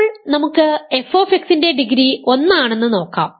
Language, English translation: Malayalam, Now, let us see degree of f x is 1, can this be possible